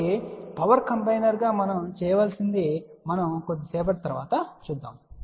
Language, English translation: Telugu, So, what we need to do as a power combiner we will see that little later on